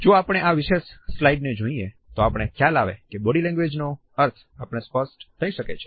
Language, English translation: Gujarati, If we look at this particular slide, we would find that the meaning of body language becomes clear to us